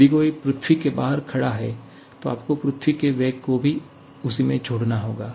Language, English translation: Hindi, And if someone is standing outside the earth, then you have to add the velocity of the earth also to the same